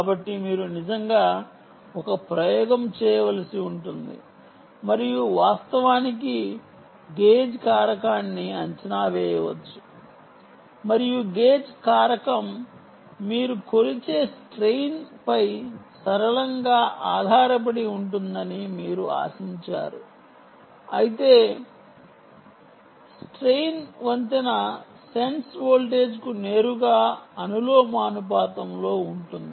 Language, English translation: Telugu, so you may actually have to perform an experiment and actually evaluate the gage factor and you expect that the gage factor is linearly dependent on the strain ah that you measure, but whereas the strain is directly proportional to the bridge sense voltage, ah